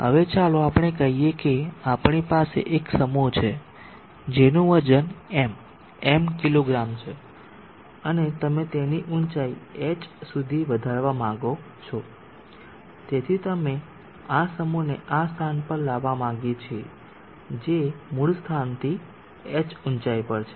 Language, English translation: Gujarati, Now let us say we have a mass which weighs M, M kgs and you want to lift it to a height H, so we want to bring this mass to this place which is at a height H from the original location